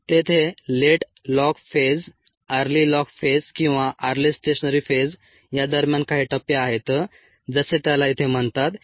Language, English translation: Marathi, there are some phases in between: the late log phase, the early log phase or the early stationary phase, as it is called here